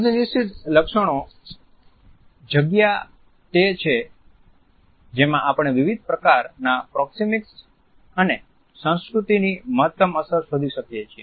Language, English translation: Gujarati, The semi fixed feature space is the one in which we find the maximum impact of different types of understanding of proxemics and culture